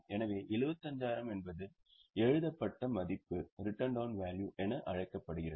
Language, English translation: Tamil, This 75,000 is known as return down value